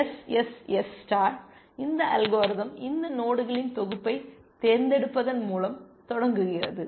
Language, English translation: Tamil, SSS star, this algorithm starts of by selecting this set of nodes, leaves